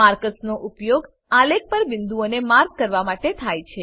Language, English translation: Gujarati, Markers are used to mark points on the chart